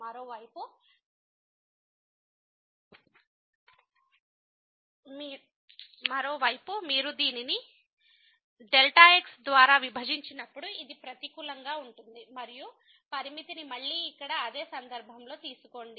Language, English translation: Telugu, On the other hand when you divide this by which is negative and take the limit again the same similar case here